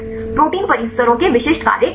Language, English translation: Hindi, What are the specific functions of protein complexes